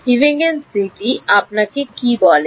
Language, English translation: Bengali, What is the Huygens principle tell you